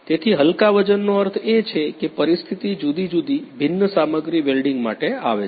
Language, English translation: Gujarati, So, light weighting means that you know the situation comes for the different dissimilar material welding